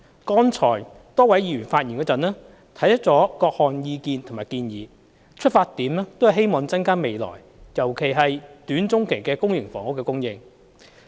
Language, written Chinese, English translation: Cantonese, 剛才多位議員發言時，提出了各項意見和建議，出發點都是希望增加未來，尤其是短中期的公營房屋供應。, In their earlier speeches a number of Members put forward various views and suggestions all founded on the hope of increasing public housing supply in the future especially in the short and medium term